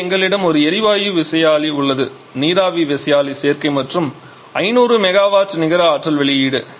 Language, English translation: Tamil, And this is a corresponding cycle diagram here we have a gas turbine steam turbine combination and innate power output of 500 megawatt